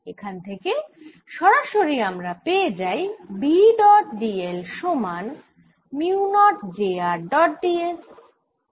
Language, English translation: Bengali, this immediately tells me that d dot d l is going to be equal to mu, not j r dot d s